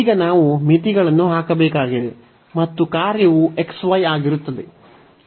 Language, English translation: Kannada, So, now, we need to just put the limits and the function will be xy